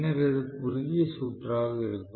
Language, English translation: Tamil, And then this going to be short circuited